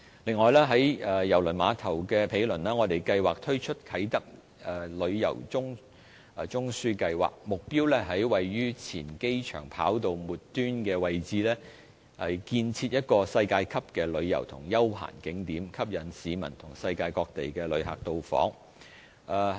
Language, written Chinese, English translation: Cantonese, 此外，在郵輪碼頭的毗鄰，我們計劃推出啟德旅遊中樞計劃，目標是在位於前機場跑道末端的位置，建設一個世界級的旅遊及休閒景點，吸引市民和世界各地的旅客到訪。, Moreover we are planning to set up a Tourism Node at the former runway tip adjacent to the Cruise Terminal . We aim at building a world - class tourism entertainment and leisure hub to attract local as well as international visitors